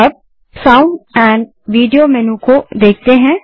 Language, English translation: Hindi, Then lets explore Sound amp Video menu